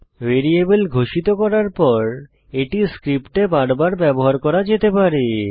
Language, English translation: Bengali, Once a variable is declared, it can be used over and over again in the script